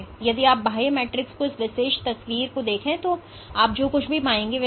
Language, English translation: Hindi, So, if you look at this particular picture of the extracellular matrix, what you find is there are